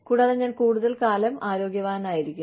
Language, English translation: Malayalam, And, I stay healthier for a longer time